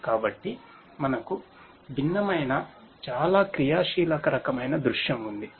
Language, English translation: Telugu, So, we have a different very highly dynamic kind of scenario